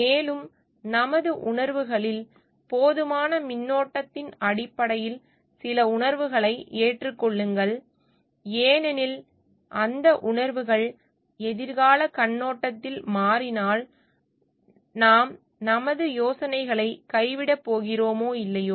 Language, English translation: Tamil, And just adopt some feelings based on our enough current in our feelings and because if those feelings change in the future perspective are we going to abandon our ideas or not